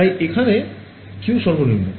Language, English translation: Bengali, So, the Q factor also comes out